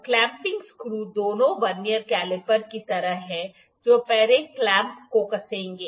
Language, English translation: Hindi, So, the clamping screws both are like the Vernier caliper we will first tighten the clamp